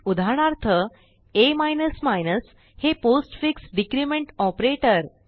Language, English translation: Marathi, a is a postfix decrement operator